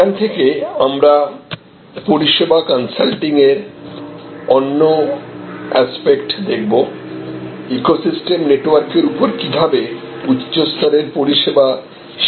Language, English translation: Bengali, From, this we will also look at another aspect of the service consulting, how higher end service sharing across an ecosystem network is done